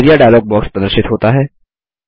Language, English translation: Hindi, The Area dialog box is displayed